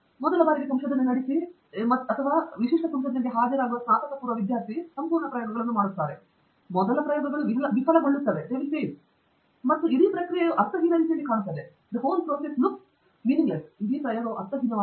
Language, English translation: Kannada, Typical undergraduate student going through research or attending the research for first time gets totally disheartened, when the first set of experiments fail, and it really looks like the whole process was pointless, the whole exercise was pointless